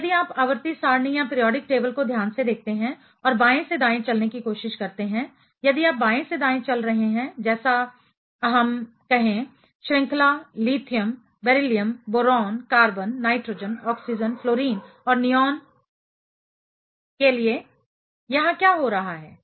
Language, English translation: Hindi, Now, if you look at periodic table carefully and try to walk from left to right ok, if you are walking from left to right, let us say for the series for lithium, beryllium, boron, carbon, nitrogen, oxygen, fluorine and neon; what is happening here